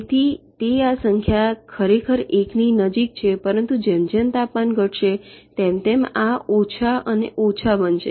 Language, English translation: Gujarati, this number is actually goes to one, but as temperature decreases this will become less and less